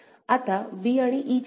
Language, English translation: Marathi, Now what about b and e